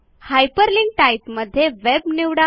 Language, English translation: Marathi, In the Hyperlink type, select Web